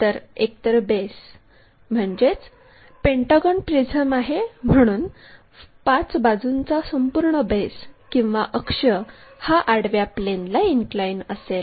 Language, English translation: Marathi, So, either the base is a pentagonal prism that means, 5 sides is entire base or axis, whatever might be that is inclined to horizontal plane